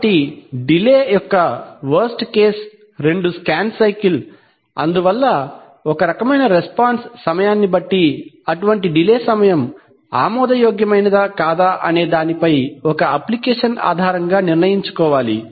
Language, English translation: Telugu, So therefore, the worst case of delay is two scan cycles, so that is why depending on the kind of response time one has to decide based on an application whether such delay times are acceptable or not